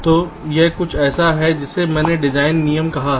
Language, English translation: Hindi, so it is something which i have called design rules